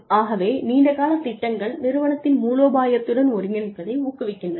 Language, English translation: Tamil, So, long term plans encourage, the integration with strategy